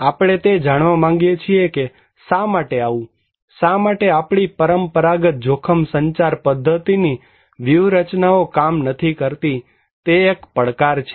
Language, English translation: Gujarati, We would like to know that why it is so, why our conventional risk communication mechanism strategies are not working that is the challenge